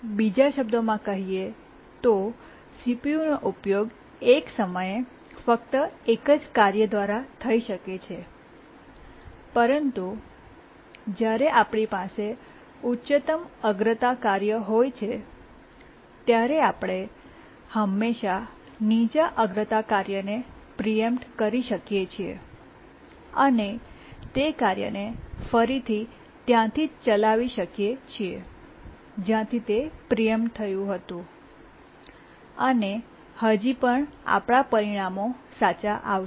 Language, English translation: Gujarati, Or in other words, even though CPU can be used by only one task at a time, but then when we have a higher priority task, we can always preempt a lower priority task and later run the task from that point where it was preempted and still our results will be correct